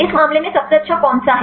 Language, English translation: Hindi, In this case which one is the best fit